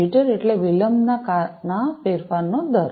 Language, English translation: Gujarati, Jitter means the rate of change of delay